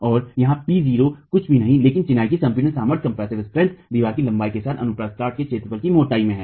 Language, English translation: Hindi, And here p not is nothing but the compressive strength of the masonry into the area of cross section with the length of the wall into the thickness